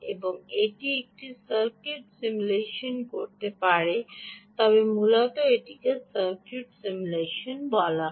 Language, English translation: Bengali, you can simulate the circuit if it can do a circuit simulation